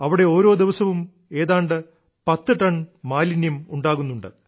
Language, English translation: Malayalam, Nearly 10tonnes of waste is generated there every day, which is collected in a plant